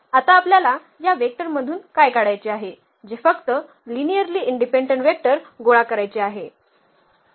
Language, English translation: Marathi, So, what we have to now extract out of these vectors what we have to collect only the linearly independent vectors